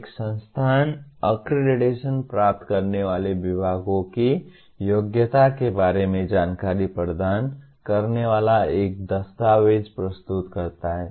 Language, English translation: Hindi, An institution submits a document providing information on eligibility of the departments seeking accreditation